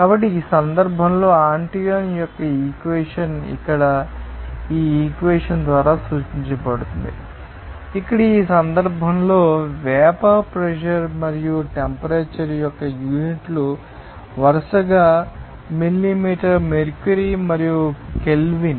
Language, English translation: Telugu, So, in this case, this equation of this Antoine is represented by this equation here here, in this case, the units of vapour pressure and temperature are millimeter mercury and Kelvin, respectively